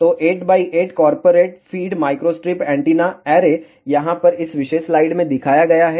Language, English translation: Hindi, So, 8 by 8 corporate fed microstrip antenna array is shown in this particular slide over here